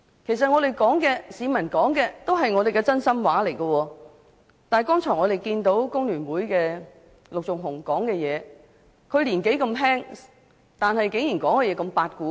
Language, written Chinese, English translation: Cantonese, 其實，我們說的、市民說的都是真心話，但剛才工聯會陸頌雄議員的發言，他年紀輕輕，發言內容卻"八股"十足。, In fact both we and the people are speaking from the bottom of our hearts . However Mr LUK Chung - hung of The Hong Kong Federation of Trade Unions FTU albeit young in age spoke rigidly with stereotyped contents just now